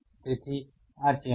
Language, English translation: Gujarati, So, so this channel